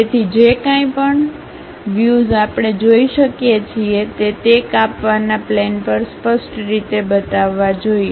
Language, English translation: Gujarati, So, whatever the visible edges we can really see those supposed to be clearly shown on that cutting plane